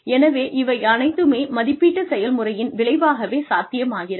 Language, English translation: Tamil, And so, all this would have been a result of the appraisal systems